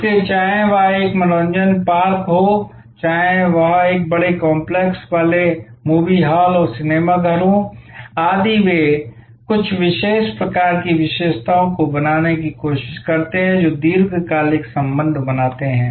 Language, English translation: Hindi, So, whether it is an amusement park, whether it is a large complex having movie halls and theatres, etc they are try to create certain kinds of features which create a long term relationship